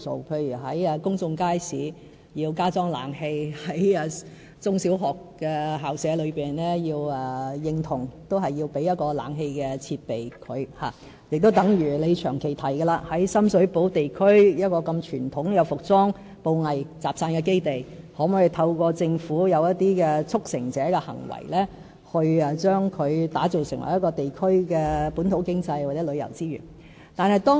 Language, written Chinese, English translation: Cantonese, 例如要在公眾街市加裝冷氣、要為中小學校舍提供冷氣設備，亦正如鍾議員長期提及的，政府可否為深水埗區如此傳統的服裝、布藝集散基地做一些事、一些"促成者"的行為，把它打造成為地區的本土經濟或旅遊資源？, One instance is the provision of air - conditioning for public markets and the premises of primary and secondary schools . Another example is about a question Mr CHUNG has kept asking can the Government do something as a facilitator to turn the traditional base of apparel and fabrics in Sham Shui Po District into a kind of local economy and tourism resources?